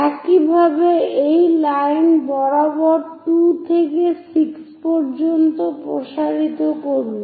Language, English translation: Bengali, Similarly, extend 2 to 6 all the way up along this line